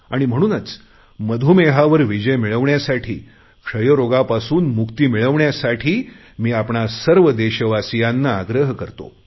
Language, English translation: Marathi, So I call upon all of you today to defeat Diabetes and free ourselves from Tuberculosis